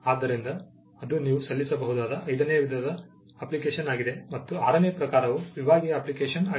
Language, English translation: Kannada, So, that’s the fifth type of application you can file, and the sixth type is a divisional application